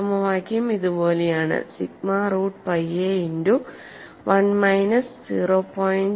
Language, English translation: Malayalam, The formula is sigma root pi a multiplied by 1 minus 0